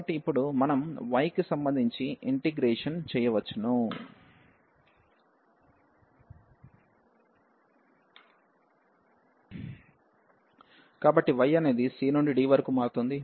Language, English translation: Telugu, So, now we can integrate with respect to y, so y will vary from c to d